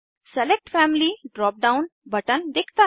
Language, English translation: Hindi, Selected Family drop down button appears